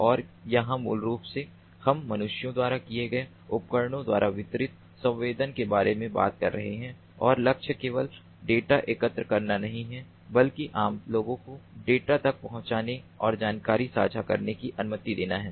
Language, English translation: Hindi, and here basically we are talking about distributed sensing by devices carried by humans and the goal is not just to collect the data but allow common people to access the data and share the knowledge